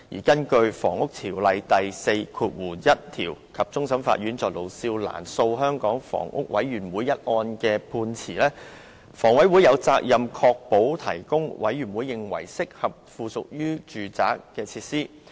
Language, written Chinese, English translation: Cantonese, 根據《房屋條例》第41條及終審法院就盧少蘭訴香港房屋委員會一案的判詞，房委會有責任"確保"為各類人士"提供"委員會認為適合附屬於房屋的設施。, According to section 41 of the Housing Ordinance and the Court of Final Appeals judgment in the case of Lo Siu Lan v Hong Kong Housing Authority it is a responsibility of HA to secure the provision of amenities ancillary to housing as HA thinks fit for different kinds of persons